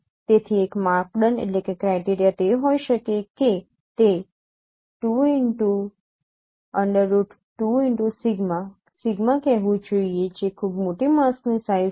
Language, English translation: Gujarati, So the one of the criteria could be that it should be say 2 root 2 sigma which is a very large mask size